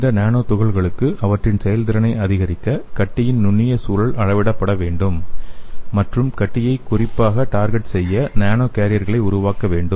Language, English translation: Tamil, And these nanoparticles to maximize their effectiveness the microenvironment of the tumor must be quantified and nano carriers should be developed to specifically target the tumor